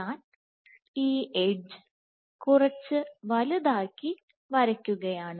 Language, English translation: Malayalam, So, this edge let me draw it little bigger